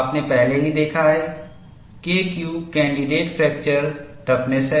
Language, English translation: Hindi, You have already seen, K Q is the candidate fracture toughness